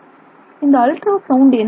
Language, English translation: Tamil, So, what does ultrasound do